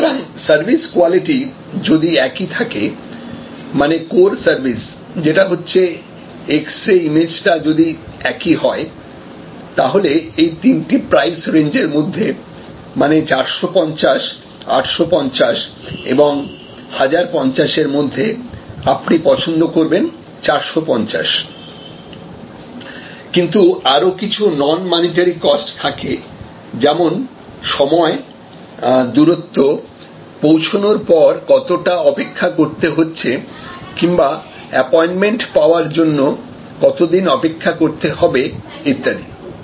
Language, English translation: Bengali, So, if the services same or the quality of the final core product, which is they are x ray image is the same, you prefer 450, but there are other non monitory costs like time, like distance travel, like the wait when you arrive or wait before you get an appointment